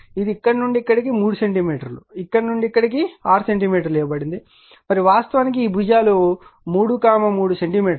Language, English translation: Telugu, 5 centimeter this also it is given from here to here 3 centimeter from here to here it is 6 centimeter it is given right and side is actually your what you call sides are 3 into 3 centimeter each